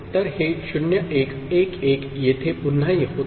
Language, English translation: Marathi, So, this 0 1 1 1 again repeats here